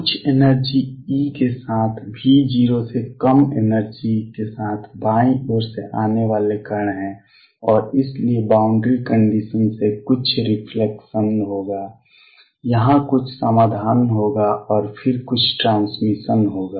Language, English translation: Hindi, There are particles coming from the left with energy less than V 0 with some energy e and therefore, by boundary condition there will be some reflection there will be some solution here and then there will be some transmission